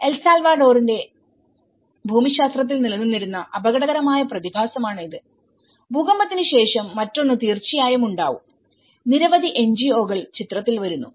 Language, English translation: Malayalam, So, this is a multiple hazard phenomenon which existed in El Salvador geography and one is after the earthquake obviously, with many NGOs come into the picture